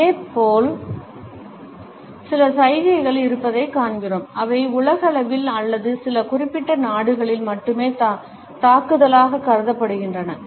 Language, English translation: Tamil, Similarly, we find that there are certain gestures, which are considered to be offensive either universally or in some particular countries only